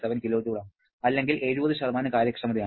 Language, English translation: Malayalam, 7 kilojoule or an efficiency of 70%